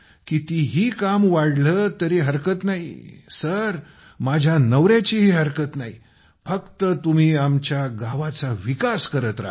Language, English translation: Marathi, It doesn't matter, no matter how much work increases sir, my husband has no problem with that…do go on developing our village